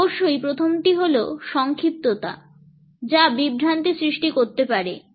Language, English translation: Bengali, Of course, the first one is that brevity can cause confusion